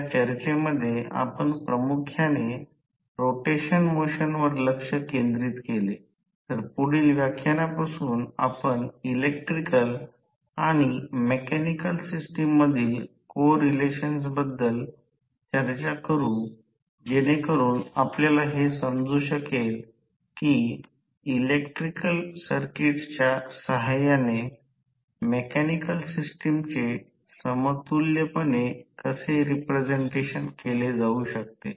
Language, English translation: Marathi, In this discussion we mainly focussed about the rotational motion, so from next lecture onwards we will discuss about the correlation between electrical and the mechanical or other than the mechanical system so that you can understand how the mechanical system can be equivalently represented with the help of electrical circuit